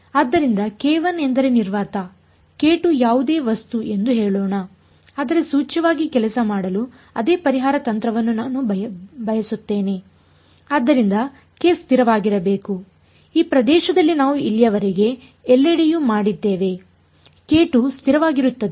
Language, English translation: Kannada, So, k 1 let us say a vacuum, k 2 whatever material, but implicit because I want the same solution strategy to work is that k should be constant therefore, this in what we have done so far everywhere over here in this region k 2 is constant